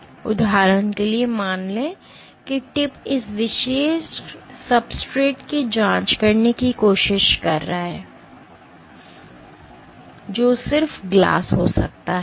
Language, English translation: Hindi, So, for example let us assume that tip is trying to probe this particular substrate which can be just glass